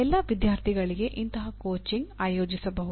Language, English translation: Kannada, Such coaching can be organized for all the students